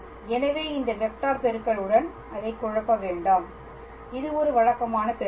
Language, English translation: Tamil, So, do not confuse it with this cross product, its just a usual multiplication